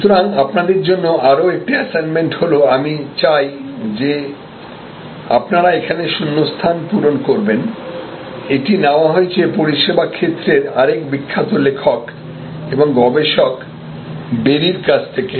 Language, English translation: Bengali, So, another set of assignment for you this is I want you to fill up the gaps here this is actually taken from another famous author and researcher in the service field, berry